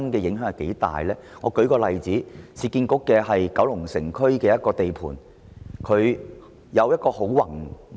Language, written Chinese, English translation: Cantonese, 讓我舉一個例子，就是市區重建局在九龍城區的一個地盤，計劃非常宏偉。, Let me give an example that is a construction site of the Urban Renewal Authority in the Kowloon City District which is a grand project